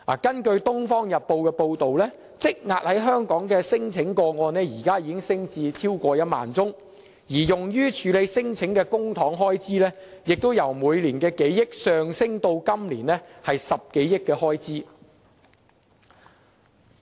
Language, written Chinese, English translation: Cantonese, 根據《東方日報》報道，香港現時積壓的聲請個案，已升至超過1萬宗，而用於處理聲請的公帑開支，亦由每年數億元上升至今年10多億元。, The Oriental Daily News reports that there is a backlog of over 10 000 cases in Hong Kong pending processing and the amount of public money spent on such claims has risen from several hundred million dollars each year in the past to over one billion dollars this year